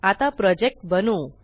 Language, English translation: Marathi, Now let us create a Project